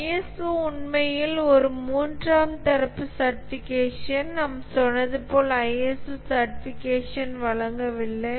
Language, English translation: Tamil, ISO is actually a third party certification